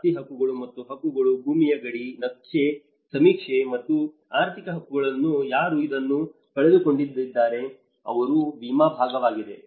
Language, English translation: Kannada, Property rights and claims, land boundary, cadastral survey, and the financial claims whoever have claimed that they have lost this; there is an insurance part of it